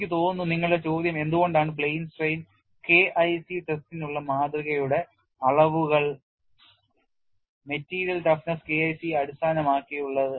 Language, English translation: Malayalam, I think your question is why are the dimensions of the specimen for plane strain K 1c test based on material toughness K 1 c